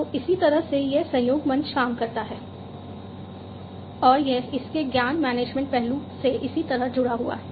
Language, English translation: Hindi, So, this is how a collaboration platform works, and how it is linked to the knowledge management aspect of it